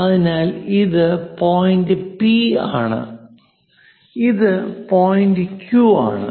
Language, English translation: Malayalam, So, P point to K and K to Q; they are equal